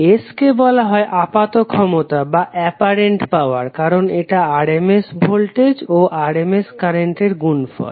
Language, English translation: Bengali, S is called as apparent power because it is defined as a product of rms voltage and current